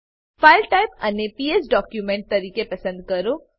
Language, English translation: Gujarati, Select the File type as PS document